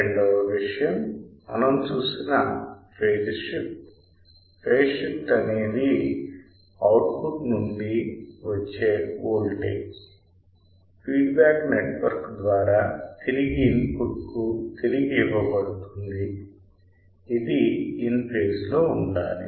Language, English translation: Telugu, Second thing what we have seen is the phase shift; the phase shift is the voltage from the output which is fed through the feedback network back to the input that should be in phase